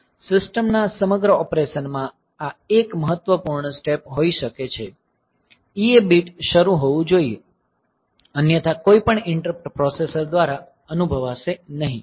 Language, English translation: Gujarati, So, this may be 1 important step in the whole operation of the system that the EA bit should be turned on; otherwise none of the interrupts will be sensed by the processor